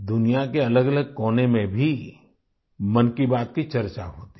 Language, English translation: Hindi, There is a discussion on 'Mann Ki Baat' in different corners of the world too